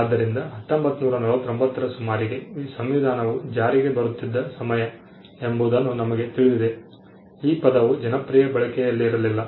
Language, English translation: Kannada, So, we know that around 1949 the time when the constitution was coming into effect; the term was not in popular usage